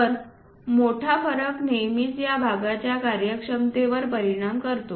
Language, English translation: Marathi, So, a large variation always affects the functionality of this parts